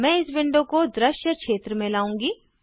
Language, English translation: Hindi, I will bring this window in the visible area